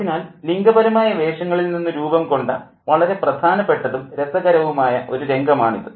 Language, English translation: Malayalam, So, it's a very, very significant and interesting play out of gender roles